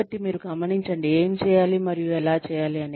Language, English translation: Telugu, So, you note down, what needs to be done, and how